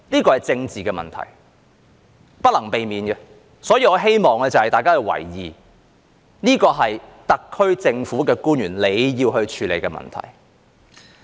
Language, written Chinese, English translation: Cantonese, 這是政治問題，是不能避免的，所以我希望大家留意，這是特區政府官員要處理的問題。, This is a political issue that cannot be avoided so I hope Members will pay attention to the fact that this is an issue that the SAR government officials have to deal with